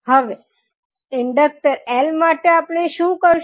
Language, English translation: Gujarati, Now, for the inductor l what we will do